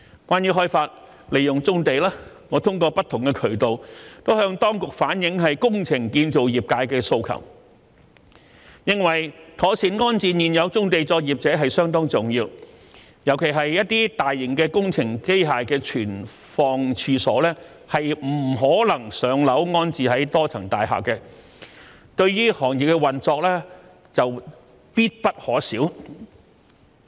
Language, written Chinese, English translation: Cantonese, 關於開發利用棕地，我通過不同渠道向當局反映工程建造業界的訴求，認為妥善安置現有棕地作業者相當重要，尤其是一些大型工程機械的存放處所不可能"上樓"安置在多層大廈，但對於行業的運作卻必不可少。, As regards the development and use of brownfield sites I have relayed to the authorities through various channels the aspirations of the engineering and construction sector . They believe that the proper relocation of existing brownfield operators is very important especially when the premises for keeping large engineering machines which are indispensable for the operation of the industry cannot be located on the upper floors of multi - storey buildings